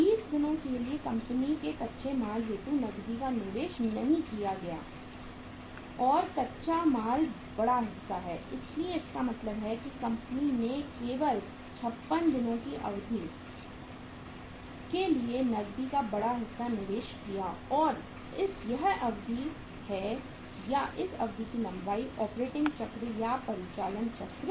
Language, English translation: Hindi, For 20 days company did not invest any cash on account of raw material and raw material is the larger chunk so it means that company only invested for a period of 56 days larger chunk of the cash and this is the duration or this is the length of the operating cycle